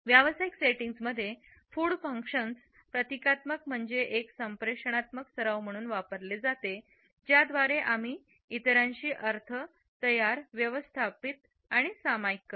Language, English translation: Marathi, In the professional settings food function symbolically as a communicative practice by which we create, manage and share our meanings with others